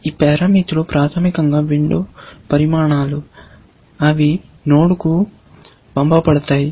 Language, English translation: Telugu, These parameters are basically, the window sizes that are passed on to the node, essentially